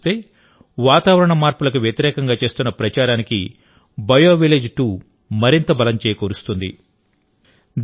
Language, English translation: Telugu, Overall, BioVillage 2 is going to lend a lot of strength to the campaign against climate change